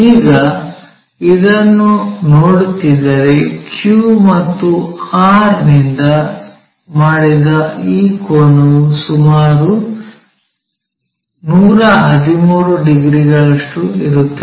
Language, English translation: Kannada, Now, if we are seeing this, this angle the angle made by Q and R will be around 113 degrees